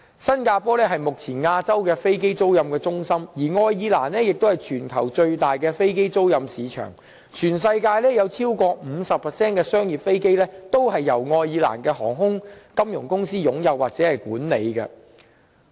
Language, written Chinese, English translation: Cantonese, 新加坡是目前亞洲的飛機租賃中心，而愛爾蘭則為全球最大的飛機租賃市場，全世界超過 50% 的商業飛機均由愛爾蘭航空及金融公司擁有或管理。, Singapore is the aircraft leasing centre in Asia for the time being while Ireland is the worlds largest market of aircraft leasing . Over 50 % of the worlds commercial planes are either owned or managed by Irish airlines or finance corporations